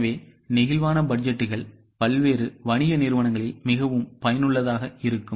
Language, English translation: Tamil, So, flexible budgets are more useful in various commercial organizations